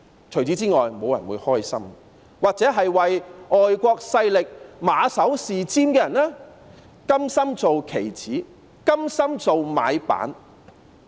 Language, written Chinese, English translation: Cantonese, 除此之外，沒有人會感到開心，又或唯外國勢力馬首是瞻的人，甘心成為棋子，甘心做"買辦"。, No one else will be happy about it . Or those people who follow the lead of foreign forces and who are willing to become their pawns and act as compradors